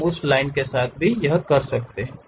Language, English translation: Hindi, We are done with that Line